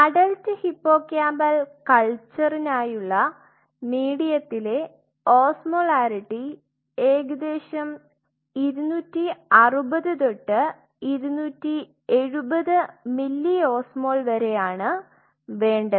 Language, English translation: Malayalam, Where is the osmolarity which you needed for adult hippocampal culture is osmolarity of the medium is around 260 to 270 milliosmoles